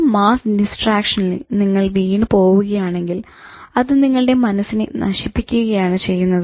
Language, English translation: Malayalam, So when you yield yourself to this mass distraction, you are actually destroying your mind